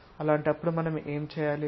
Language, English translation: Telugu, In that case what we have to do